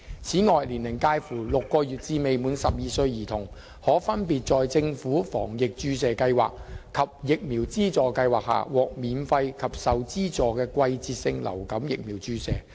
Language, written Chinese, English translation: Cantonese, 此外，年齡介乎6個月至未滿12歲兒童，可分別在政府防疫注射計劃及疫苗資助計劃下，獲免費及受資助的季節性流感疫苗注射。, Moreover children aged six months to under 12 years are eligible for free and subsidized seasonal influenza vaccination SIV via the Government Vaccination Programme GVP and Vaccination Subsidy Scheme VSS respectively